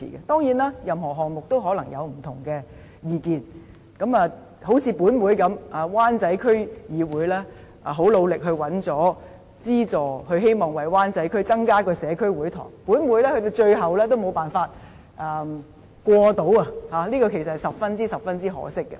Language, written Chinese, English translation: Cantonese, 當然，任何項目也可能有不同的意見，正如在立法會，雖然灣仔區議會十分努力地尋求資助，希望為灣仔區增設社區會堂，但在上一屆立法會的最後會期也無法通過有關項目，這其實是十分可惜的。, Of course there are often different views on a project . For example although the Wan Chai DC tried very hard to seek funding for the provision of a community hall to Wan Chai District at the end of the last Legislative Council session it was still not possible to pass the relevant item and this is actually very regrettable